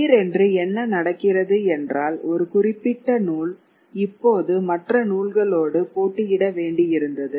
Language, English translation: Tamil, So, suddenly what is happening is a given text was now having to compete for its ideas with a set of other texts